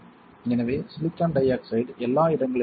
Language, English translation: Tamil, So, silicon dioxide everywhere right